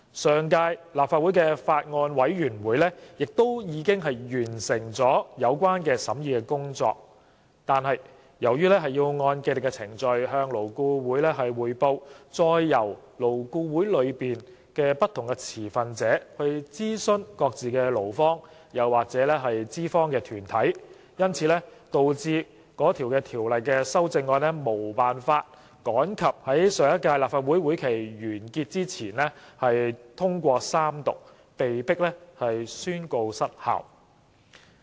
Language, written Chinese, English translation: Cantonese, 上屆立法會的法案委員會亦已完成有關的審議工作，但由於要按既定程序向勞顧會匯報，再由勞顧會內不同持份者諮商各自的勞方或資方團體，因而導致《2016年條例草案》無法趕及於上屆立法會會期完結前通過三讀，被迫宣告失效。, The Bills Committee of the last Legislative Council had also completed the relevant scrutiny . However since the matter had to be reported to LAB according to the established mechanism and different stakeholders in LAB would proceed to consult their respective employer or employee bodies the 2016 Bill could not pass through Third Reading before the prorogation of the last Legislative Council and was thus lapsed